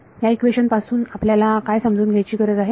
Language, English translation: Marathi, What all do you need to know from this equation